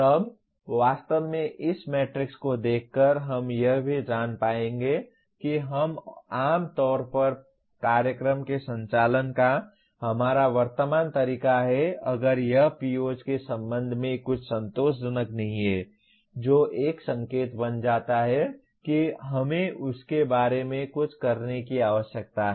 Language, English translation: Hindi, Then by looking actually at this matrix we will also know where we are generally our present way of conducting the program if it is not satisfactory with respect to some of the POs that becomes an indication that we need to do something about that